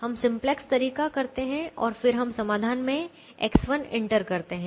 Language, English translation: Hindi, we do the simplex way and then we enter x one into the solution